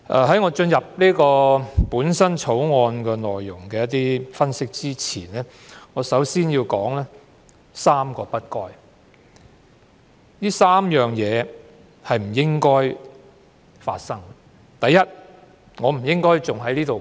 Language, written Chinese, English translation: Cantonese, 在我就《條例草案》的內容作出分析前，我想先提述3個"不該"，即3個不應該出現的情況。, Before analysing the Bills contents I wish to talk about three should nots namely three situations that should not have taken place